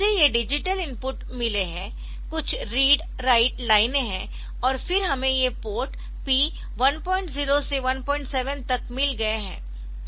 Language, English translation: Hindi, So, it has got these digital inputs some read write lines are there and then we have got this ports p 1